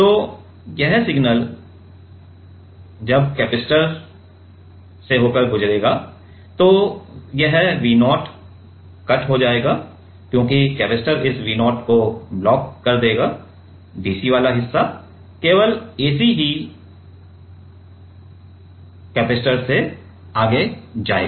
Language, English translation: Hindi, So, this signal once it goes then this V 0 will get cut because, the capacitor will block this V 0, the dc part only the ac will you go, ac will go